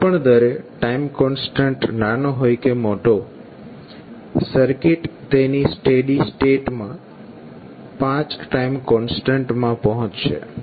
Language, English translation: Gujarati, Now at any rate whether it is time constant is small or large, circuit will reaches at its steady state in 5 time constant